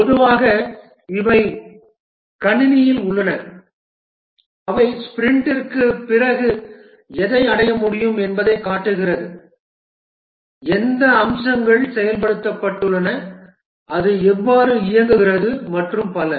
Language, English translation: Tamil, Typically these are a computer they show that what can be achieved after the sprint which features have been implemented how does how does it work, and so on